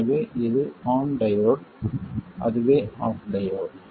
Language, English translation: Tamil, So this is the on diode and that is the off diode